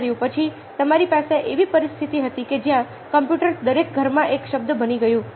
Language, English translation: Gujarati, then you had ah a situation where ah computers became a in every house, ok